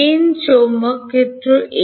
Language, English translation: Bengali, n magnetic field at